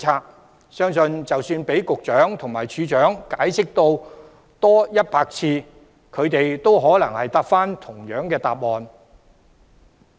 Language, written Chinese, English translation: Cantonese, 我相信，即使局長和處長解釋100次，他們也可能會提供同樣的答案。, I believe that the Secretary and the Director may provide the same answer even if they have to explain for one hundred times